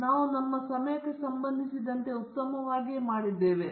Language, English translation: Kannada, Again, how are we doing with respect to time